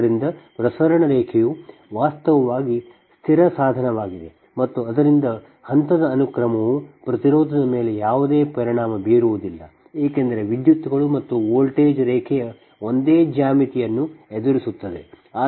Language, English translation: Kannada, so transmission line actually is a static device and hence the phase sequence has no effect on the impedance because currents and voltage encounter the same geometry of the line